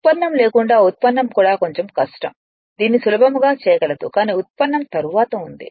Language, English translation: Telugu, Derivation I mean without derivation also it just little bit difficult do it you can easily do it this, but derivation is there later right